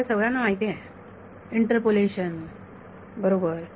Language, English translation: Marathi, You all know it interpolation right